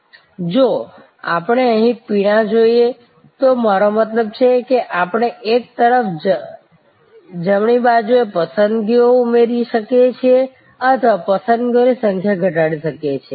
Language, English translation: Gujarati, If we look here beverages, I mean, we can on one hand, add choices on the right hand side or reduce the number of choices